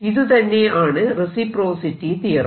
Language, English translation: Malayalam, apply reciprocity theorem